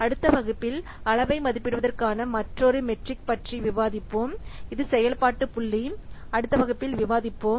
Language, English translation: Tamil, In the next class, we will discuss about another metric for estimating size that is a function point that will discuss in the next class